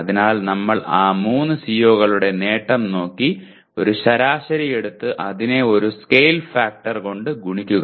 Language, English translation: Malayalam, So we look at the attainment of those 3 COs and take an average and multiply it by the, a scale factor